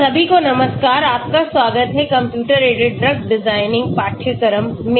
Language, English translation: Hindi, Hello everyone, welcome to the course on computer aided drug design